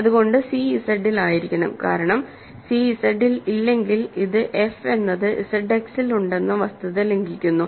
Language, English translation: Malayalam, So, c must be Z in Z itself, because if c is not in Z that violates the fact that f is in Z X